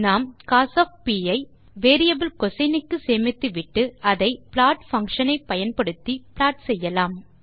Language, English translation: Tamil, We can save cos to variable cosine and then plot it using the plot function